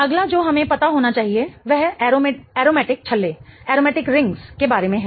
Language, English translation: Hindi, The next one we should know is about aromatic rings